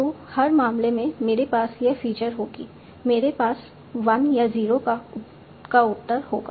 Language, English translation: Hindi, So every case, I will have this feature, I will have an answer 1 or 0